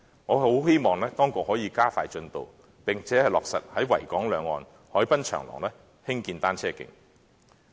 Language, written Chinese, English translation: Cantonese, 我很希望當局可以加快進度，並落實在維港兩岸海濱長廊興建單車徑。, I very much hope that the authorities can speed up and implement the construction of cycle tracks in the waterfront promenades on both sides of the Victoria Harbour